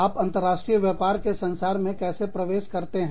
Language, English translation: Hindi, How do you enter, in to international business, in the world